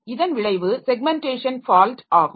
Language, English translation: Tamil, So, as a result, so this is a segmentation fault